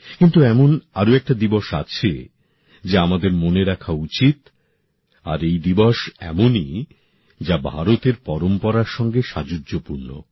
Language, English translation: Bengali, But, there is one more day that all of us must remember; this day is one that is immensely congruent to the traditions of India